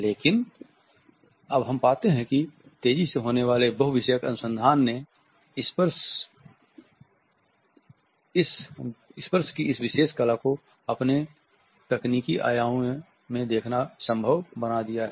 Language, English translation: Hindi, But now we find that the increasingly multidisciplinary research has made it possible to look at this particular art of touching in its technological dimensions